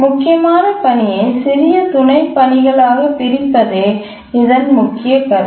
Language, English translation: Tamil, The main idea here is that we divide the critical task into smaller subtasks